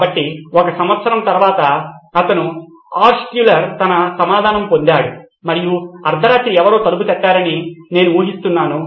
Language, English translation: Telugu, So a year later he did Altshuller did get his reply and I am guessing it was in the middle of the night somebody knocking at the door